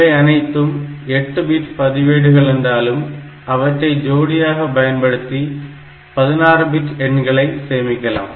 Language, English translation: Tamil, So, they are all 8 bit registers; however, in some instructions so, you can use them as 16 bit register pair as well